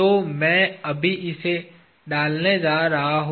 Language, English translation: Hindi, So, I am just going to insert it